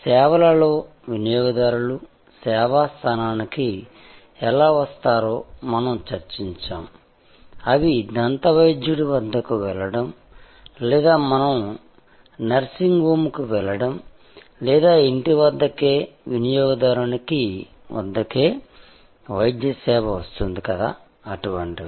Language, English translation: Telugu, We have discussed how in services, consumers come to the service location like we go to the dentist or we go to a nursing home or the medical service can come to the consumer at home